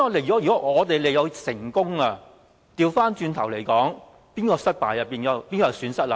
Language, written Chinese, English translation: Cantonese, 如果我們利誘成功，便變成是對手的失敗，是誰有損失？, Our success in attracting them will mean failure on the part of our opponents . Who will suffer losses?